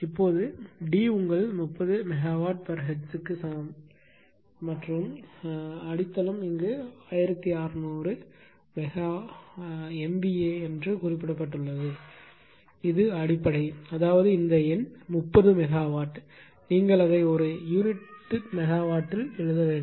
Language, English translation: Tamil, Now D is equal to then your 30 megawatts for hertz and base is mention here 1600 MVA; this is the base; that means, this numerator is 30 megawatt you have to make it in per unit megawatt